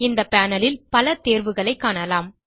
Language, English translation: Tamil, There are several options in this panel